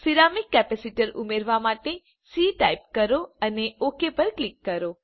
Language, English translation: Gujarati, Type c to add ceramic capacitor and click OK